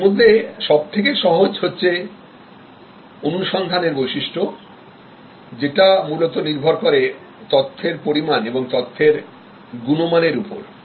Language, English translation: Bengali, The easier one is the search attribute, which are fundamentally based on quantity and quality of information